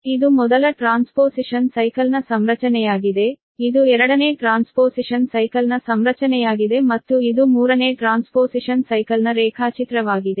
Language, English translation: Kannada, so this is the configuration for the first transposition cycle, this is the configuration for the second transposition cycle and this is the diagram for the third transposition cycle